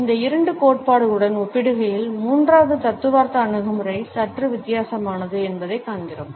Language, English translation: Tamil, In comparison to these two theories, we find that the third theoretical approach is slightly different